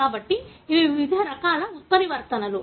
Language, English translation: Telugu, So, these are the different kinds of mutations